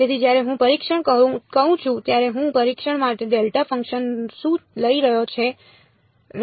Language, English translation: Gujarati, So, when I say testing, what do I am taking delta functions for the testing